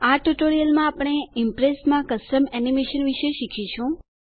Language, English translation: Gujarati, In this tutorial we will learn about Custom Animation in Impress